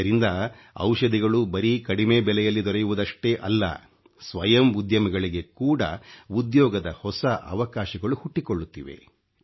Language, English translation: Kannada, This has led to not only availability of cheaper medicines, but also new employment opportunities for individual entrepreneurs